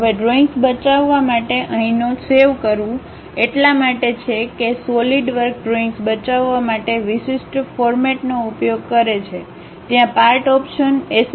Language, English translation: Gujarati, Now, the notation here for saving drawings is because Solidworks use a specialized format for saving drawings, there is something like Part option sld part